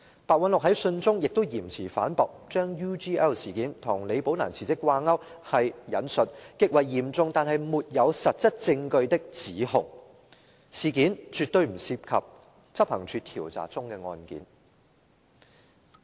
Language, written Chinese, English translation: Cantonese, 白韞六在信中亦嚴詞反駁，將 UGL 事件與李寶蘭辭職掛鈎是極為嚴重但沒有實質證據的指控，事件絕對不涉及執行處調查中的案件。, Mr Simon PEH also sternly refutes that linking the UGL incident with the resignation of Ms Rebecca LI is a serious but unfounded allegation adding that the incident has nothing to do with any cases being investigated by the Operations Department